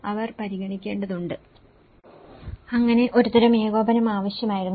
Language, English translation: Malayalam, So, that is a kind of coordination which was needed